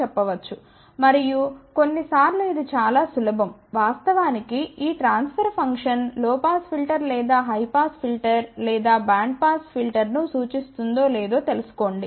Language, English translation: Telugu, And sometimes it is very easy to actually find out whether this transfer function represents a low pass filter or a high pass filter or a band pass filter